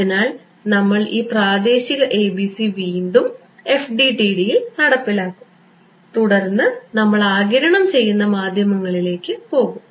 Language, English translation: Malayalam, So, we will once again implement this local ABC in FDTD and then we will go to absorbing media